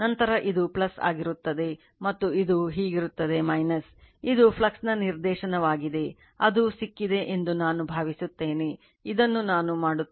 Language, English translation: Kannada, Then this will be plus, and this will be minus, this is the direction of the flux got it, I think you have got it right so, this I will make it